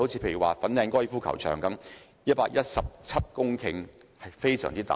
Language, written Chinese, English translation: Cantonese, 例如，粉嶺高爾夫球場佔地117公頃，地方非常大。, For example the Fanling Golf Course occupies a huge area of 117 hectares